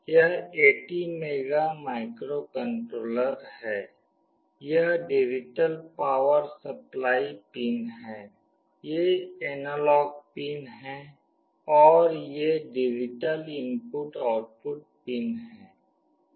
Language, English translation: Hindi, This is the ATmega microcontroller, this is the digital power supply pins, these are the analog pins and these are the digital input output pins